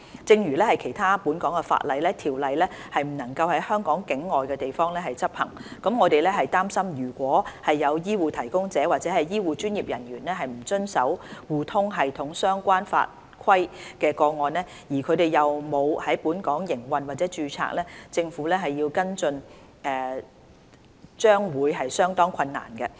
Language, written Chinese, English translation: Cantonese, 正如其他本港法例，《條例》不能在香港境外的地方執行，我們擔心如果有醫護提供者或醫護專業人員不遵守互通系統相關法規的個案，而他們又沒有在本港營運或註冊，政府要跟進將會相當困難。, Like other Hong Kong laws the Ordinance cannot be enforced in places outside of Hong Kong . We are concerned that if there are cases where HCPs or health care professionals do not abide by the legislation and requirements in relation to eHRSS and they do not have operations or are not registered in Hong Kong it would be very difficult for the Government to follow - up